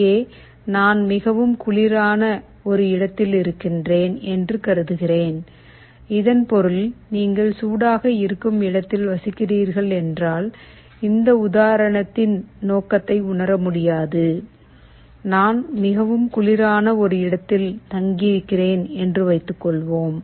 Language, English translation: Tamil, Here I am assuming that I am in a place which is quite cold, it means if you are residing in a place which is hot you cannot appreciate this example, suppose I am staying in a place which is very cold